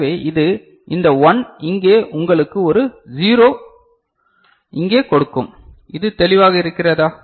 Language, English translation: Tamil, So, this is your this 1 will give you a 0 over here, is it clear ok